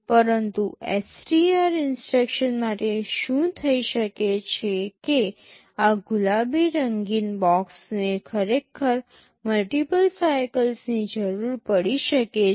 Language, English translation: Gujarati, But for STR instruction what might happen that this pink colored box can actually require multiple cycles